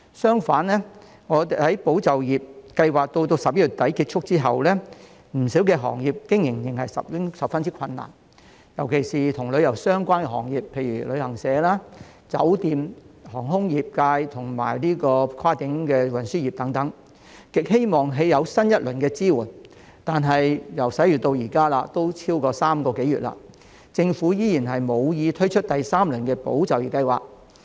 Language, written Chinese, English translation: Cantonese, 相反，在"保就業"計劃至11月底結束後，不少行業經營仍然十分困難，尤其是旅遊相關行業，例如旅行社、酒店、航空業界和跨境運輸業等，極希望有新一輪支援，但由11月至今已超過3個多月，政府依然無意推出第三輪"保就業"計劃。, For them it was like icing on the cake . On the contrary after ESS ended at the end of November many industries particularly tourism - related industries such as travel agencies hotels aviation and cross - border transportation industries are still operating in great difficulties and very much hope that there will be a new round of support will be provided . However more than three months have passed since November and the Government still has no intention to introduce the third tranche of ESS